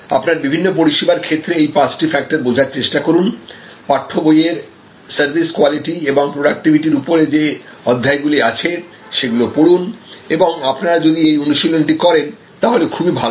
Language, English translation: Bengali, Try to understand those five factors in terms of the different types of services, go to the chapter on service quality and productivity in your text book and read those and it will be great if you can actually do this exercise